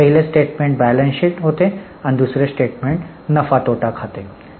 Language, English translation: Marathi, The first statement was balance sheet, the second statement was P&L account